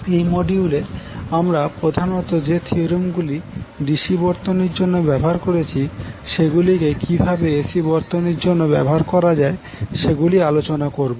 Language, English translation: Bengali, So what we will do in this module, we will discuss particularly on how the theorems which we discussed in case of DC circuit can be used to analyze the AC circuits